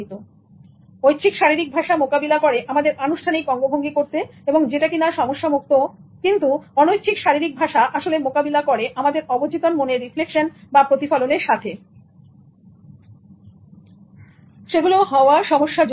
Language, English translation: Bengali, So, voluntary body language deals with formalized gestures which are unproblematic, but involuntary body language actually they deal with subconscious reflections and they are problematic